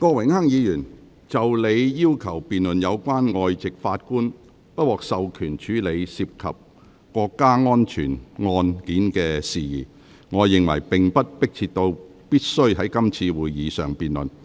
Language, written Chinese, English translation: Cantonese, 郭榮鏗議員，就你要求辯論有關外籍法官不獲授權處理涉及國家安全案件的事宜，我認為並不迫切至必須在今次會議上辯論。, Mr Dennis KWOK regarding your request to debate the prohibition of foreign judges from handling cases involving national security I think that the issue is not so urgent that it must be debated at this meeting